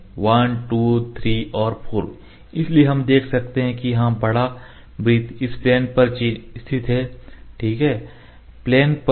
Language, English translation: Hindi, So, we can see this circle is located big circle on this plane